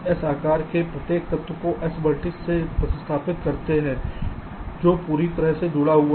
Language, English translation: Hindi, you replace each element of a size s with s vertices which are fully connected